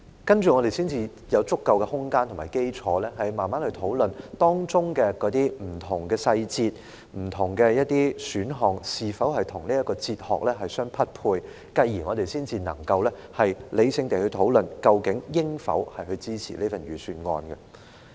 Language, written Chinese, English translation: Cantonese, 那接着，我們才會有足夠的空間和基礎，慢慢討論當中的不同細節、不同選項，是否與這套哲學相匹配，繼而，我們才能夠理性地討論，究竟應否支持這份預算案。, If he has what exactly is this piece of philosophy? . After that there will be sufficient room and basis for us to take our time to discuss whether the different details and options align with this philosophy and then we can rationally discuss whether the Budget merits out support